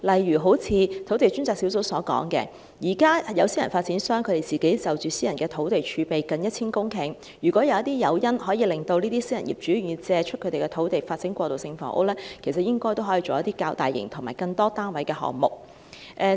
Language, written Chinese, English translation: Cantonese, 土地供應專責小組便曾提出，現時私人發展商擁有近 1,000 公頃的私人土地儲備，如果有一些誘因令私人業主願意借出土地以發展過渡性房屋，應可發展一些較大型和更多單位的項目。, The Task Force on Land Supply has noted that private developers now have nearly 1 000 hectares of private land reserve . If we can provide some incentives to encourage private owners to lend the lands for development of transitional housing some larger projects and projects with more units could be developed